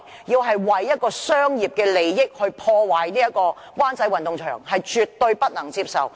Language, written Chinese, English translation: Cantonese, 要為商業利益而破壞灣仔運動場，這是絕對不能接受的。, Destroying Wan Chai Sports Ground for the sake of commercial interests is absolutely unacceptable to us